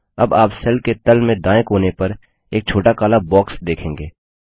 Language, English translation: Hindi, You will now see a small black box at the bottom right hand corner of the cell